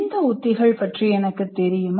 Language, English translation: Tamil, Do I know of those strategies